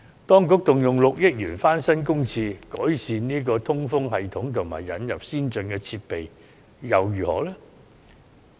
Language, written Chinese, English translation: Cantonese, 當局動用6億元翻新公廁，改善通風系統及引入先進設備，結果如何呢？, The Administration has spent 600 million on renovating public toilets with improved ventilation systems and advanced facilities . What is the outcome?